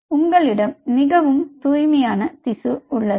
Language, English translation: Tamil, ok, so you have a much more cleaner tissue